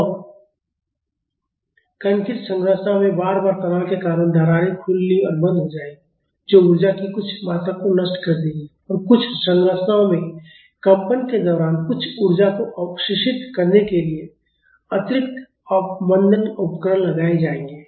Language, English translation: Hindi, And, in concrete structures because of repeated straining there will be opening and closing of cracks that will dissipate some amount of energy and in some structures there will be additional damping devices installed to absorb some energy during vibration